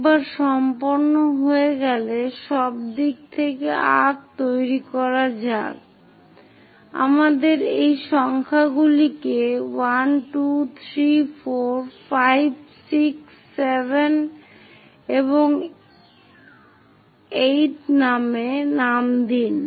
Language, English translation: Bengali, Once is done make arcs all the way beginning let us name these numbers also 1, 2, 3, 4, 5, 6, 7 and the 8th one